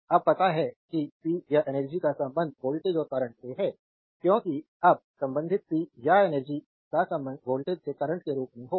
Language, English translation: Hindi, we know we now we now relate the power and energy to voltage and current, because we have to relate now power and energy to the voltage as well as the current